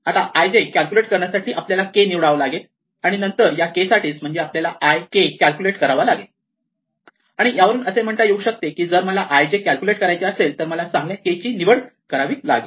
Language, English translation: Marathi, Now, in order to compute i comma j, I need to pick a k, and I need to compute for that k all the values I mean I have to compute i k, and so it turns out that this corresponds to saying that if I want to compute a particular entry i comma j, then I need to choose a good k